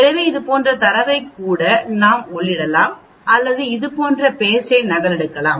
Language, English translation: Tamil, So we can even enter data like this or we can copy paste like this